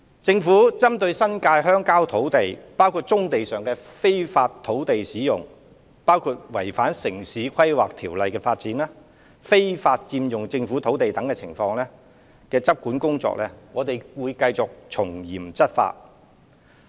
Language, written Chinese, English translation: Cantonese, 政府針對新界鄉郊土地，包括棕地上的非法土地使用、違反《城市規劃條例》的發展、非法佔用政府土地等情況的執管工作，會繼續從嚴處理。, The Government will continue to take stringent enforcement actions against illegal land uses unauthorized developments contravening the Town Planning Ordinance and illegal occupation of government land in the rural areas including brownfield sites in the New Territories